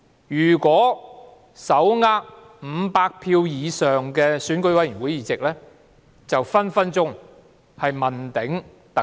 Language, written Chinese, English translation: Cantonese, 如果手握500票以上選委會議席，就隨時問鼎特首。, If a candidate could get hold of more than 500 votes from EC he would have a high chance of becoming the Chief Executive